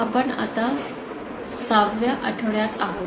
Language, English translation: Marathi, We are now in the week 6